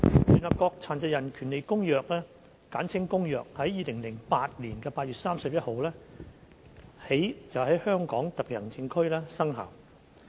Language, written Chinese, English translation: Cantonese, 聯合國《殘疾人權利公約》自2008年8月31日起在香港特別行政區生效。, The United Nations Convention on the Rights of Persons with Disabilities was entered into force for the Hong Kong Special Administrative Region on 31 August 2008